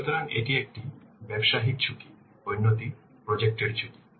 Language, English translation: Bengali, So, one is business risk, another is the project risk